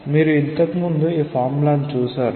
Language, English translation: Telugu, This formula you have encountered earlier